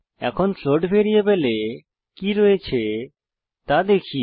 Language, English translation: Bengali, Let us see what the float variable now contains